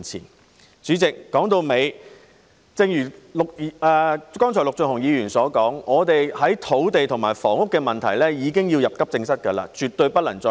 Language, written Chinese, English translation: Cantonese, 代理主席，說到底，正如剛才陸頌雄議員所說，香港的土地及房屋問題已是急症，絕對不能再拖延。, Deputy President all in all as Mr LUK Chung - hung has just remarked the land and housing problems of Hong Kong are in a critical condition that brooks no delay